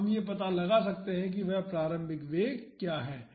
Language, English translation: Hindi, So, we can find out what is that initial velocity